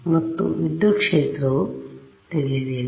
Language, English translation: Kannada, Of course, the electric fields are different